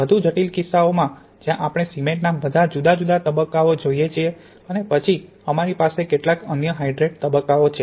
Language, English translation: Gujarati, In the more complicated case where we have cement we have all the different phases in cement and then we have some other hydrate phases